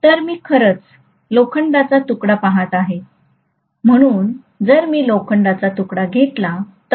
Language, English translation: Marathi, So if I am actually looking at a piece of iron, so if I take a piece of iron, right